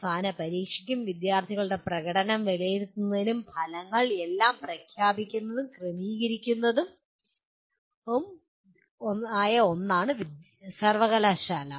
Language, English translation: Malayalam, University is the one that arranges for final examination and evaluation of student performance, declaring the results everything